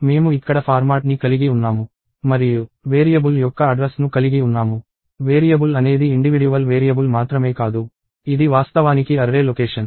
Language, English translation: Telugu, We have the format here and we have the address of a variable; only that, the variable is not an individual variable; it is actually an array location